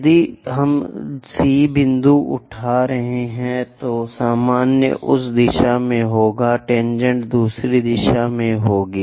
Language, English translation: Hindi, If we are picking C point normal will be in that direction, tangent will be in other direction